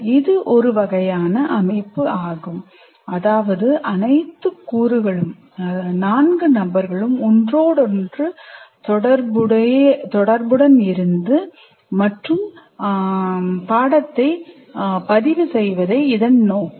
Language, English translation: Tamil, So what happens, This is a kind of a system where all the elements, namely the four people, are interrelated and the purpose is to record